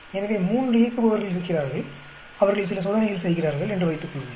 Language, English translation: Tamil, So, suppose there are three operators and they perform some experiments